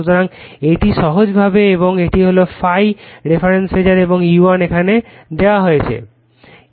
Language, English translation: Bengali, So, this is simply and this is the ∅ the reference phasor right and E1 is given here